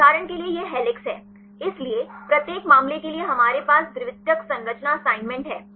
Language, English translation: Hindi, For example this is helix; so, for each case we have the secondary structure assignment